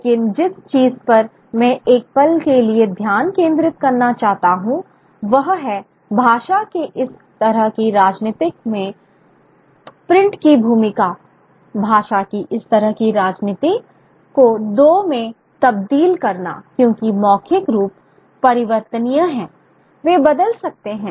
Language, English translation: Hindi, But what I want to focus on for a moment is the role print plays in this kind of politics of language, is this kind of politics of a language, is this kind of politics of cleaving language into two